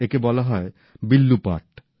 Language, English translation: Bengali, It is called 'Villu paat'